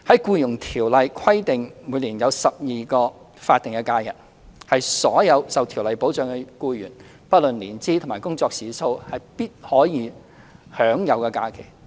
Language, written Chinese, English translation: Cantonese, 《僱傭條例》規定僱員每年有12天法定假日，是所有受條例保障的僱員，不論年資及工作時數，必可享有的假期。, Under the Employment Ordinance all eligible employees are entitled to 12 statutory holidays a year . All employees protected by the Ordinance are entitled to those holidays irrespective of their length of service and working hours